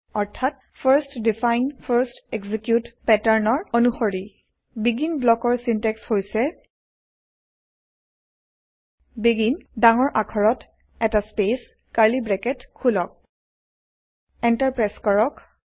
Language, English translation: Assamese, That is in the First define First execute pattern The syntax for BEGIN block is as follows BEGIN in capital letters space open curly bracket Press Enter